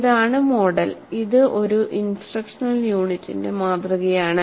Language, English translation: Malayalam, This is the model and this is the model for one instructional unit